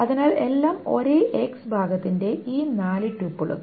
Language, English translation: Malayalam, So all these four tuples of the same x part